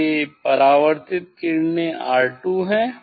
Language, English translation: Hindi, this is the reflected rays R 2